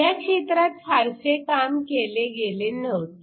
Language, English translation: Marathi, There was not much work done in this area